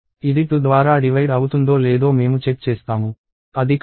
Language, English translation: Telugu, I check whether it is divisible by 2; it is not